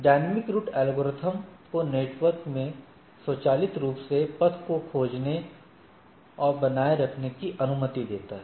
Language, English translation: Hindi, Dynamic route algorithms allowed router to automatically discover and maintain the awareness of the paths through the network right